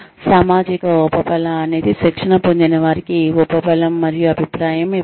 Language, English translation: Telugu, Social reinforcement is a reinforcement and feedback to the trainees